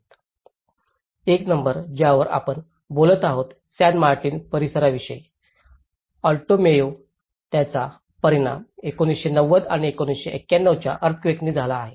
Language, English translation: Marathi, Number 1 which we are talking about San Martin area, Alto Mayo which has been affected by 1990 and 1991 earthquakes